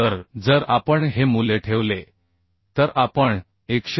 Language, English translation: Marathi, 25 so if we put this value we can find out as 127